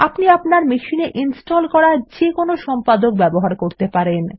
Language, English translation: Bengali, You can use any editor that is installed on your machine